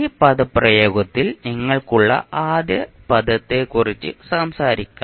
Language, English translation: Malayalam, Let’ us talk about the first expression, first term which you have in this expression